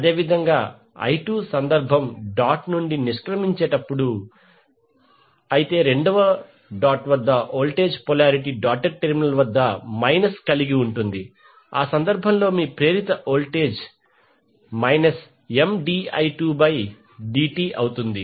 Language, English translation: Telugu, Similarly in case of I2 when I2 is exiting the dot but the voltage polarity at the second will have minus at the doted terminal in that case your induced mutual voltage will M dI 2by dt